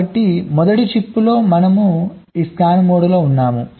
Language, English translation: Telugu, so in the first chip we are in this scan mode